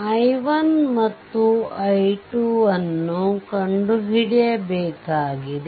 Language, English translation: Kannada, And you have to solve for i 1 and i 2